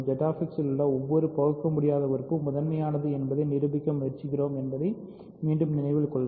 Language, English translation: Tamil, Remember again I am trying to prove that every irreducible element in Z X is prime